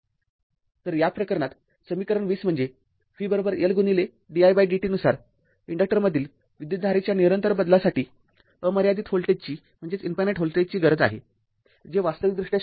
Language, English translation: Marathi, So, your in this case according to equation 20 that is v is equal to L into di by dt a discontinuous change in the current to an inductor requires an infinite voltage which is physically not possible